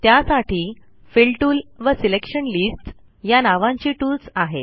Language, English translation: Marathi, These tools are namely, Fill tool, Selection lists